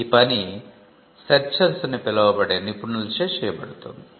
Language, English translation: Telugu, It is done by a different set of professionals called searchers